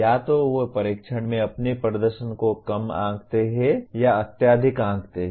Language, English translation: Hindi, Either they underestimate or overestimate their performance in tests